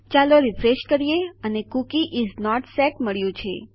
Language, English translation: Gujarati, Lets refresh and we got Cookie is not set